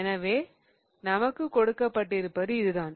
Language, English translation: Tamil, So, the one that is given to us is this one